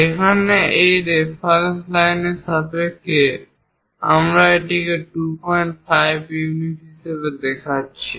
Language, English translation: Bengali, Here, with respect to this reference line, we are showing it as 2